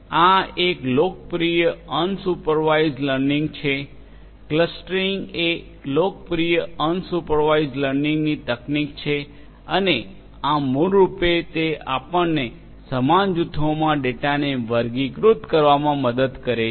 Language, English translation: Gujarati, This is one popular unsupervised learning; clustering is a popular unsupervised learning technique and this basically will help you to classify the data into similar groups